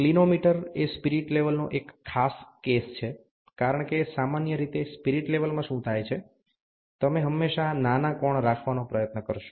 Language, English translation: Gujarati, A Clinometer is a special case of spirit level, because generally in a spirit level what happens, you would always try to have a smaller angle